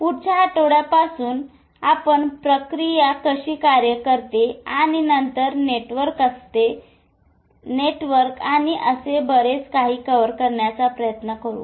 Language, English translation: Marathi, From next week we will try to cover how the processes work and then networks and so on so forth